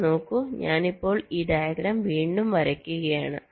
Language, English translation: Malayalam, i am just drawing this diagram again so that